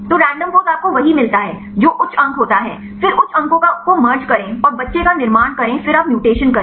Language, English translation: Hindi, So, random poses you get the one which is the high score, then merge the high scores and form the child then you do the mutations